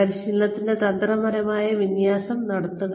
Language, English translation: Malayalam, Give training, a strategic alignment